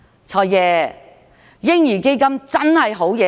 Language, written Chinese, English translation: Cantonese, "財爺"，嬰兒基金是個好建議。, Financial Secretary baby fund is a good suggestion